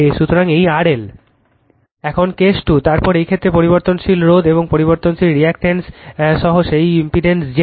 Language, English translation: Bengali, So, now case 2; then in this case, that impedance Z L with variable resistance and variable reactance